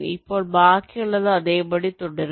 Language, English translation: Malayalam, now the rest remains same